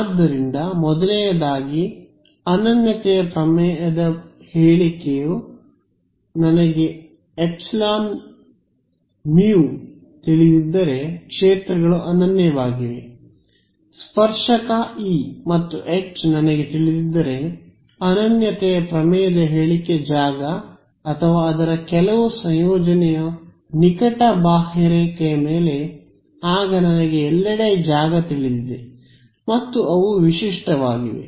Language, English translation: Kannada, So, first of all statement of uniqueness theorem was not that if I know epsilon mu the fields are unique, statement of uniqueness theorem was if I know the tangential E and H fields or some combination thereof over a close contour then I know the fields everywhere and they are unique